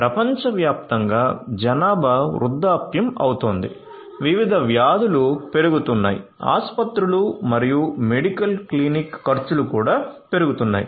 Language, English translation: Telugu, Populations are ageing all over the world; different diseases are increasing; expenditure of hospitals can medical clinic are also increasing